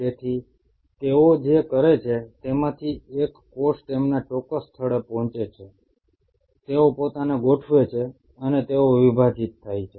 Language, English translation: Gujarati, So what they do was these cells reach their specific spot, they align themselves and they divide